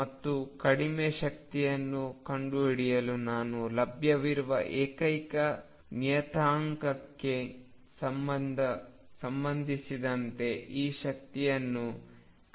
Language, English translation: Kannada, And to find the lowest energy I minimize this energy with respect to the only parameter that is available to me and that is a